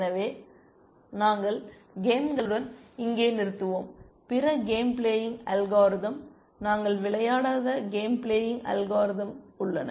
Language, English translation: Tamil, So, we will stop here with games, there are other games plays algorithm, game playing algorithms that we will not consider